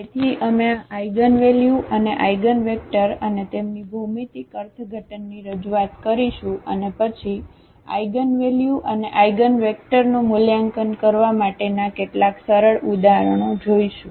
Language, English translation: Gujarati, So, we will go through the introduction of these eigenvalues and eigenvectors and also their geometrical interpretation and, then some simple examples to evaluate eigenvalues and eigenvectors